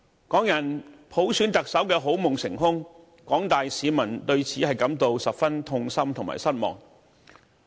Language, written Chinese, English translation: Cantonese, 港人普選特首的好夢成空，廣大市民對此感到十分痛心和失望。, Hong Kong peoples dream for electing the Chief Executive by universal suffrage shattered and the general public was thus traumatized and disappointed